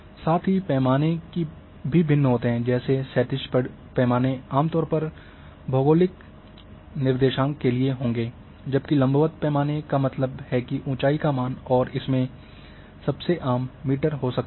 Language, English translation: Hindi, Plus the scales are different horizontally scale are generally in will be in geographic coordinates, whereas vertically scale that means elevation value and most common is a might be in meters